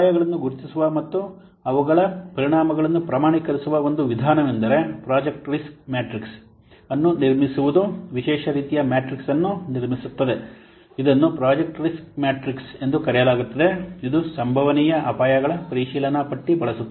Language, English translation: Kannada, One approach to know what identify the risk and the quantify their effects is to construct a project risk matrix, a special type of matrix will construct that is known as project ricks matrix which will utilize a checklist of a possible risk